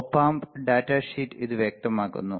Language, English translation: Malayalam, The op amp data sheet specifies it